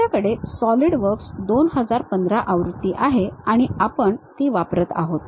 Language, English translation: Marathi, We have Solidworks 2015 version and we are using that